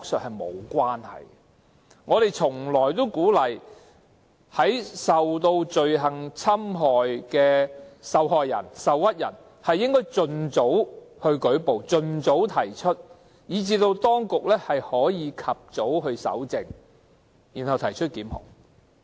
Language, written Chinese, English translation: Cantonese, 我們一直鼓勵罪行受害人、受屈人盡早舉報，讓當局得以及早搜證，提出檢控。, We always encourage victims of crime and aggrieved parties to file complaints as soon as possible which would facilitate early evidence collection and prosecution by the authorities